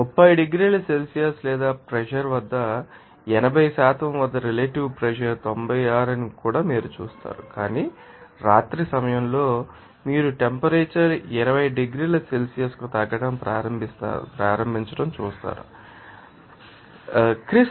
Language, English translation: Telugu, You will see that here important that relative humidity at 80% at 30 degrees Celsius or pressure is 96, but at the night you will see that the temperature is start you know lowering to 20 degrees Celsius for after with Chris it also will be interested there are 0